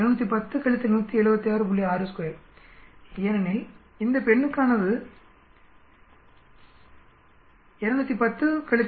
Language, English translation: Tamil, 6 because this is for the female, 210 minus 176